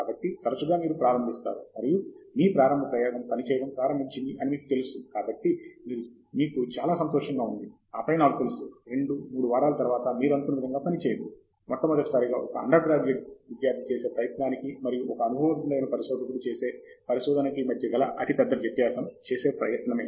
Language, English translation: Telugu, So, often you start off, and you feel very happy you know that your initial experiment started working, and then I know two, three weeks down the road something does not work; and I would say that is the biggest difference between what I say an undergraduate student trying experiments for the first time goes through and say a more seasoned researcher goes through